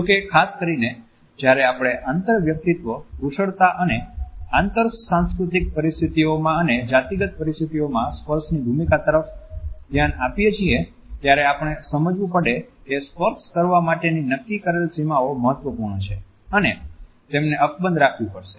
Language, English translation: Gujarati, However, particularly when we look at the role of touch in interpersonal skills, particularly within intercultural situations and in across gender situations we have to understand that the set and unset boundaries are important and they have to be kept intact